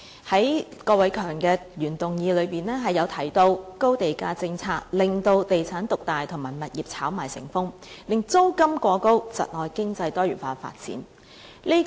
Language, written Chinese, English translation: Cantonese, 在郭偉强議員的原議案中提及高地價政策令地產業獨大及物業炒賣成風，令租金過高，窒礙經濟多元化發展。, Mr KWOK Wai - keungs original motion says that the high land - price policy has given rise to the dominance of the real estate industry and rampant property speculation in turning leading to exorbitant rents and hindering diversified economic development